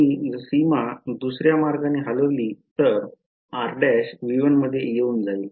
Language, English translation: Marathi, If I move the boundary the other way, then r prime will fall into V 1